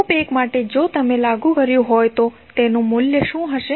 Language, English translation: Gujarati, For loop 1 if you applied what will be the value